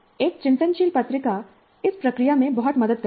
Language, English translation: Hindi, And a reflective journal helps in this process greatly